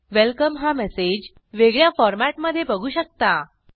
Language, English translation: Marathi, We see the message Welcome in a different format